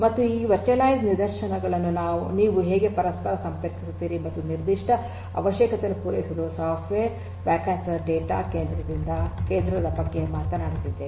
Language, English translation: Kannada, And, how do you interconnect this virtualized instances and cater to the specific requirements is what software defined data centre talks about